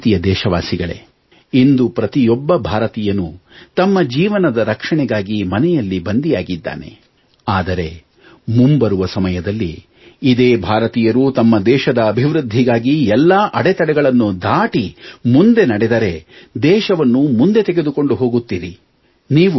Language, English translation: Kannada, My dear countrymen, today every Indian is confined to the home, to ensure his or her own safety, but in the times to come, the very same Indian will tear down all walls on the road to our progress and take the country forward